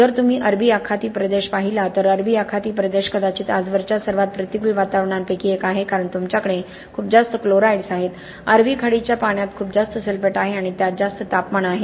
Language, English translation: Marathi, If you look at the Arabian gulf region the Arabian gulf region is probably subjected to one of the most adverse environments ever because you have very high chlorides, the Arabian gulf water have very high sulphate and added to you have high temperatures